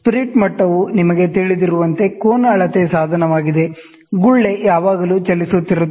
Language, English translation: Kannada, The spirit level, as you are aware, is an angle measuring device in which the bubble always moves